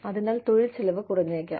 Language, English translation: Malayalam, So, the labor costs may go down